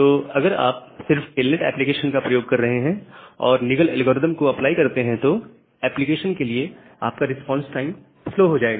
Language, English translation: Hindi, So, if you are just using telnets application and applying Nagle’s algorithm, your response time for the application will be slow